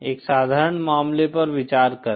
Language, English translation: Hindi, Consider a simple case